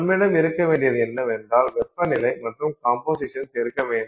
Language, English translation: Tamil, So, what we need to have is we have to have temperature, you have to have composition